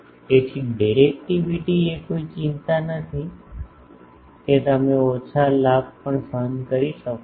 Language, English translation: Gujarati, So, directivity is not a concern you can suffer a low gain also